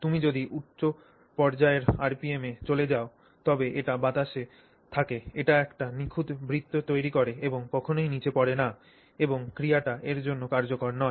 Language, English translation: Bengali, If you go at high enough RPM it stays, it stays in the air, makes a perfect circle and never falls down and that action is not useful for us